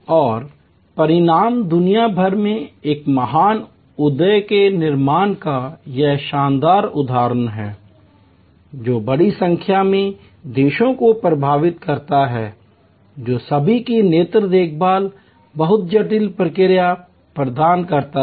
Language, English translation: Hindi, And the result is this fantastic example of creation of a great enterprise across the world influencing large number of countries providing all kinds of eye care very intricate processes